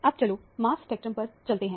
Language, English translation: Hindi, Now, let us move on to mass spectrum